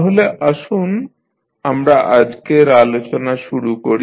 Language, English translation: Bengali, So, let us start the discussing of today’s session